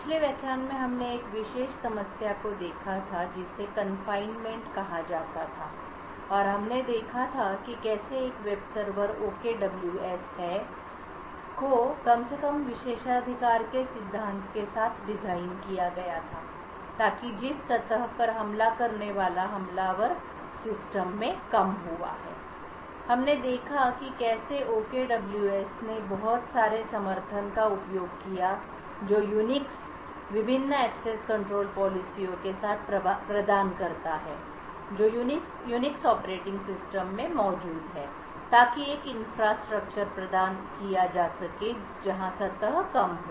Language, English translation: Hindi, In the previous lecture we had looked at one particular problem called confinement and we had seen how a web server which we will which was called OKWS was designed with the principle of least privileges so that the surface with which an attacker in attack the system is drastically reduced, we seen how OKWS used a lot of support that Unix provides with the various access control policies that are present in the Unix operating system to provide an infrastructure where the surface is reduced